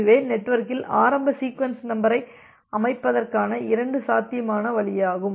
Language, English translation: Tamil, So, this are two feasible way of setting the initial sequence number in the network